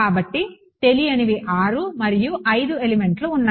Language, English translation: Telugu, So, unknowns are 6 elements are 5 5 elements have